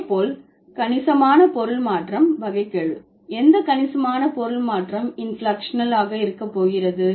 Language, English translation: Tamil, Substantial meaning change, derivational, no substantial meaning change is going to be inflectional